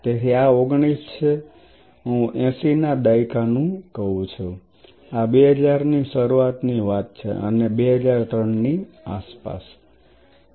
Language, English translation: Gujarati, So, this is 19 I would say 80s, this is the early 2000 and this is around 2003